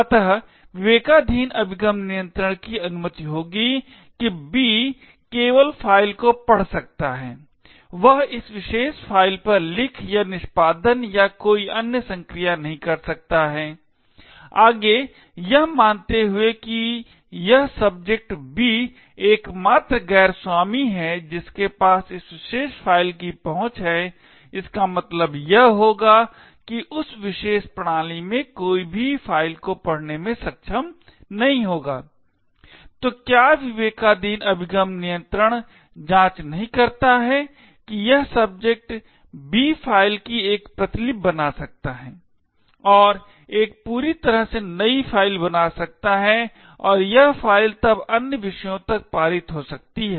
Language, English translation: Hindi, So what discretionary access control would permit is that B can only read to the file, it cannot write or execute or do any other operation on this particular file, further assuming that this subject B is the only non owner who has access to this particular file, it would mean that no one else in that particular system would be able to read the file, so what discretionary access control does not check is that this subject B could make a copy of the file and create a totally new file and this file can be then pass on to other subjects